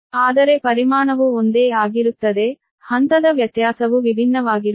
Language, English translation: Kannada, so, but magnitude will remain same, only that phase difference will be different